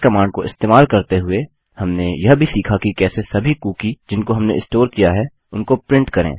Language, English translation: Hindi, Using this command here, we also learnt how to print out every cookie that we had stored